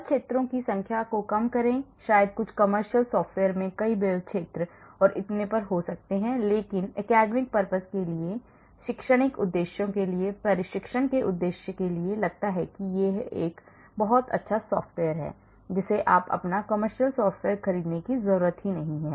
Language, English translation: Hindi, Ofcourse the number of force fields maybe less some commercial software may have many force fields and so on, but for academic purposes, for teaching purposes, training purposes I think this is a very good software you do not have to buy your commercial software